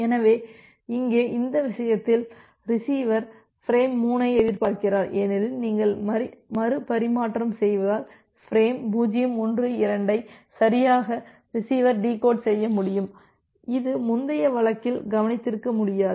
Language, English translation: Tamil, So, here in this case the receiver is expecting frame 3 because of the retransmission you are retransmitting frame 0 1 2 the receiver will be able to correctly decode that, which was not possible in the earlier case that we have looked into